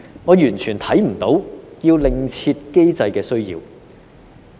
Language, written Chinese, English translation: Cantonese, 我完全看不到要另設機制的需要。, I do not see any need to establish another mechanism